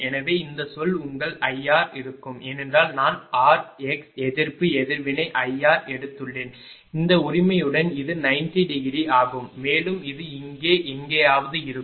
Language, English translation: Tamil, So, this term is will be your ah I r, because I have taken small r, small x resistance reactants I r and this is 90 degree with this right, and this is will be just ah somewhere here it is right